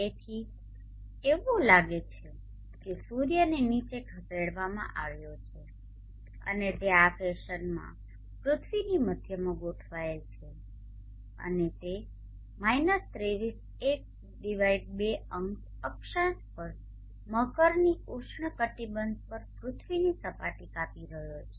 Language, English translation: Gujarati, So it move it looks as though the sun as moved down and it is aligned in this fashion to the center of the earth and it is cutting the surface of the earth had to tropic of Capricorn at 23 1/2 0 gratitude